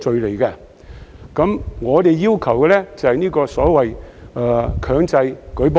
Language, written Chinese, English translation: Cantonese, 可是，我們要求的是強制舉報。, However we are asking for mandatory reporting